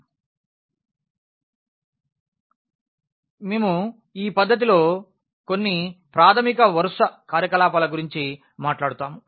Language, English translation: Telugu, And, we will be also talking about in this technique some elementary row operations